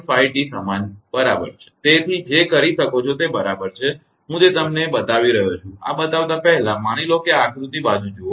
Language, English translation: Gujarati, 5 is equal to is equal to what you can do is I am just showing you that before showing this one suppose look at this look at this diagram